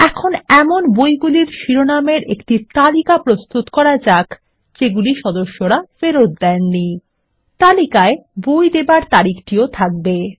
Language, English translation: Bengali, Let us now get a list of book titles, which have not yet been returned by the members, along with the book issue dates